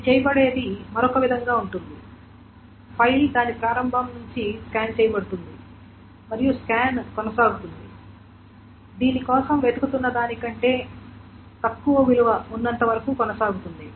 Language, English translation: Telugu, The file is scanned from the beginning of it and it goes on, the scan goes on till the value for which this is less than is being sought